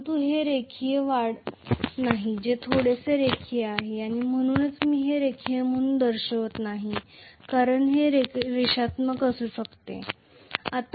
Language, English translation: Marathi, But it is not a linear increase that is a little non linear and that is why I am not showing this as linear it may be non linear